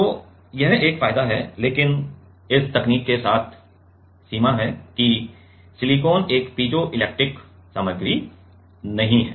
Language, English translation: Hindi, So, that is one of the advantage, but the limitation with this technique is silicon is not a piezoelectric material